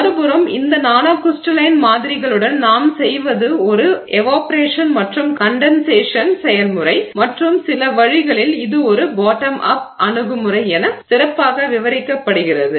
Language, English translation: Tamil, On the other hand, what we do with these nanocrystalline samples is an evaporation and condensation process and in some ways this is best described as a bottom up approach